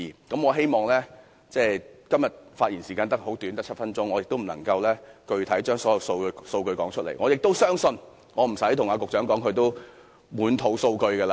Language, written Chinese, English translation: Cantonese, 今天的發言時間很短，只有7分鐘，我無法詳列所有數據，但我相信即使我不說，局長也滿肚數據。, The speaking time today is short . I only have seven minutes and I cannot set out all the figures . Yet even if I do not mention them the Secretary has all those figures at heart